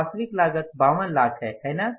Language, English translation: Hindi, The actual cost is 52 lakhs, right